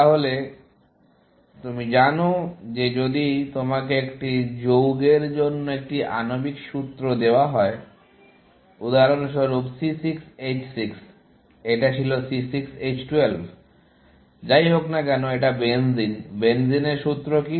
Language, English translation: Bengali, So, you know that if you are given a molecular formula for a compound, for example, C6 H6; how was it C6 H12; whatever, benzene; what is the formula for benzene